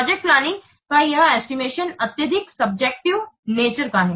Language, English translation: Hindi, You know that this estimation of the project is highly subjective nature